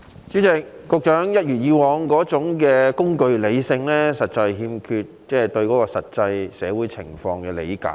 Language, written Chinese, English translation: Cantonese, 主席，局長一如既往的工具理性，反映他對現實社會欠缺理解。, President the Secretary has as always displayed instrumental rationality reflecting his ignorance of real life